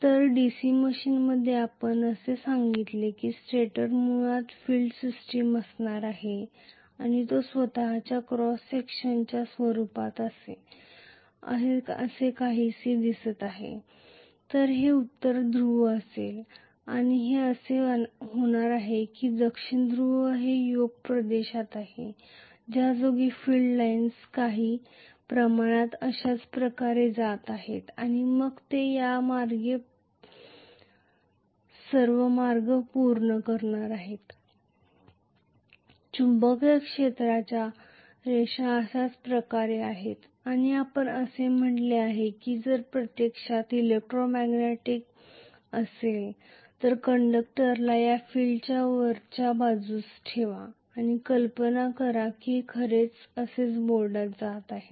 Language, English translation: Marathi, So, in DC machine we said that the stator basically is going to be having the field system and that is essentially shown in the form of its own cross section somewhat like this, so this is going to be north pole and this is going to be south pole this is the yoke region with the field lines going somewhat like this and then it is going to complete the path like this, this is how the magnetic field lines are,right